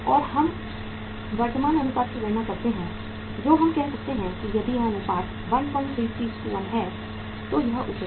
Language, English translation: Hindi, And we calculate the current ratio which we say that if this ratio is 1